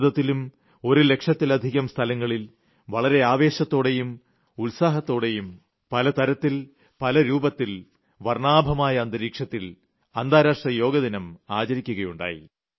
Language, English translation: Malayalam, In India too, the International Yoga Day was celebrated at over 1 lakh places, with a lot of fervour and enthusiasm in myriad forms and hues, and in an atmosphere of gaiety